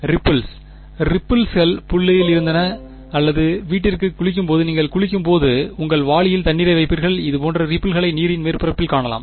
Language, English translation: Tamil, Ripples; ripples were in the point or even closer to home in when you are have a bath, you put water in your bucket you see ripples like this right on the surface of the water right